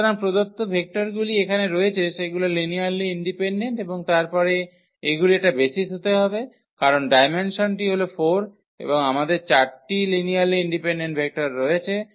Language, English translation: Bengali, So, here are the given vectors they are linearly independent and then they it has to be a basis because, the dimension is 4 and we have these 4 linearly independent vectors